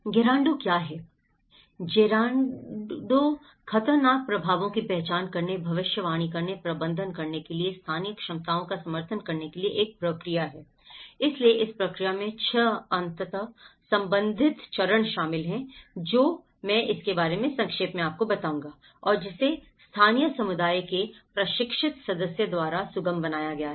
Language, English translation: Hindi, What is Gerando; Gerando is a process for supporting local capacities to identify, predict, manage hazard impacts, so this process consists of 6 interrelated stages which I will explain briefly about it and which has been facilitated by a trained member of the local community